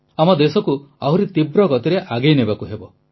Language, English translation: Odia, We have to take our country forward at a faster pace